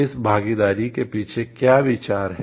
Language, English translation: Hindi, What is the idea behind inclusion of this